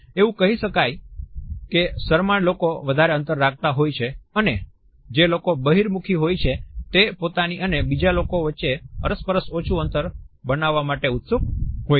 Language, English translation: Gujarati, We can say that shy people have bigger distances and people who are extroverts are keen to create a smaller distance between themselves and the other interactant